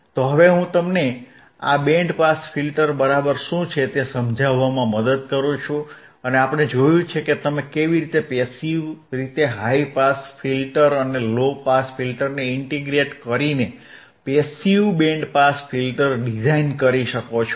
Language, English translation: Gujarati, So now, I help you to understand what exactly this band pass filter is, and we have seen how you can design a passive band pass filter by using the high pass filter and low pass filter by integrating high pass filter and low pass filter together in passive way it becomes passive band pass filter